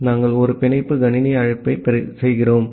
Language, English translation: Tamil, So, we are making a bind system call